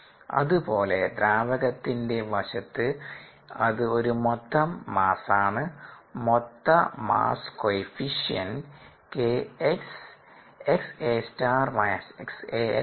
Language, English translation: Malayalam, similarly, on the liquid side, it is an liquid side, it is an overall mass transfer coefficient: k, x times x a star minus x a l